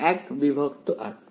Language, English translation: Bengali, 1 by r